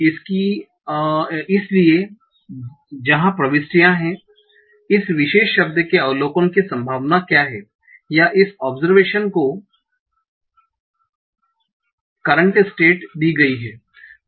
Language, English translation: Hindi, So where the entries are, what is the probability of observing this particular word or this observation given the current state